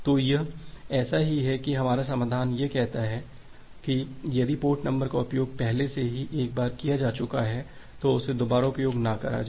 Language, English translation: Hindi, So, it is just like that that our solution says that do not use a port number, if it has been used once already